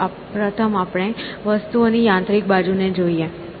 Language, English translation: Gujarati, Let us first address the mechanical side of things essentially